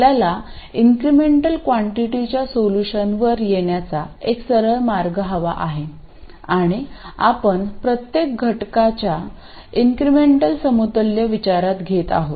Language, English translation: Marathi, We want an even more straightforward way of arriving at the solution for the incremental quantities and that we do by considering the incremental equivalent for every element